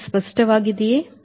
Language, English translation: Kannada, is it clear, right